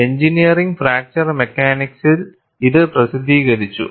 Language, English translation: Malayalam, This was published in Engineering Fracture Mechanics